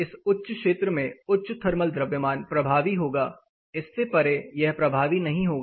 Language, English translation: Hindi, High thermal mass in this particular region will be effective beyond this it will not be effective